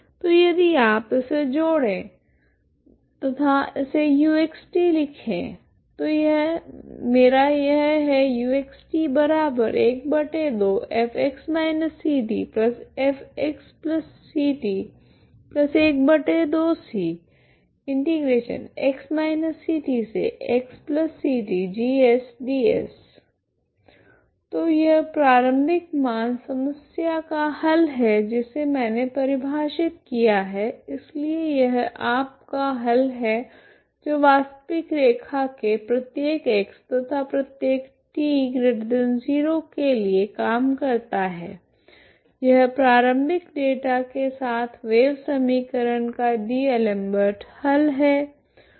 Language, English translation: Hindi, So if you combine it now we can just combine it and write this as X plus C T ok so this is what you have so this is what is my U of X T so this is the solution of the initial value problem that I define ok, so this is your solution you have this works for every X in the real line and for every T positive this is D'Alembert solution of the wave equation with the initial data